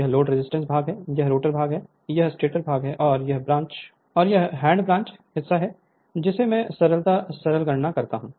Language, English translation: Hindi, This is load resistance part, this is rotor part, this is stator part, and this is hand branch part just for the your what you call simplicity simple calculation right